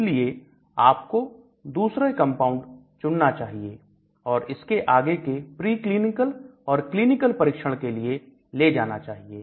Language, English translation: Hindi, So, you may try to select the second best compound and take it further into the pre clinical and clinical trial